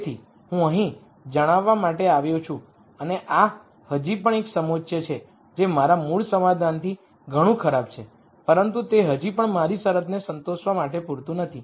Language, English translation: Gujarati, So, I come up to let us say here and this is still a contour which is much worse than my original solution, but it is still not enough for me to satisfy my constraint